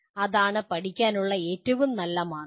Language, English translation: Malayalam, That is the best way to learn